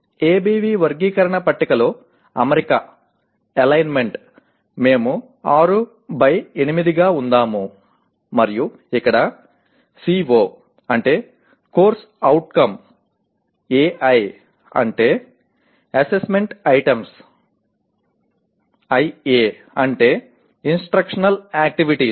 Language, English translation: Telugu, Alignment in ABV taxonomy table, we have put as 6 by 8 and here CO means course outcome, AI is assessment items, IA means instructional activities